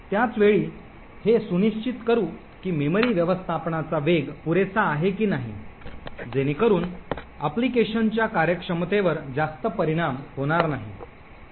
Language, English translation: Marathi, At the same time ensure that the speed of memory management is good enough so that the performance of the application is not affected too much